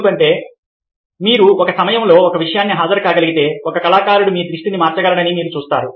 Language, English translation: Telugu, because you see that if you are able attend one thing at a time, then an artist can manipulate your attention